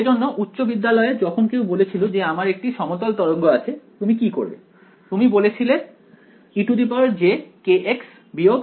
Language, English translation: Bengali, So, for in sort of high school when I was any one said plane wave, what would you do you said e to the j k x minus omega t